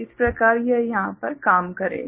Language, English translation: Hindi, So, this is the way it works over here